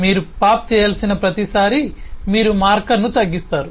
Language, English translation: Telugu, Every time you have to pop, you simply decrement the marker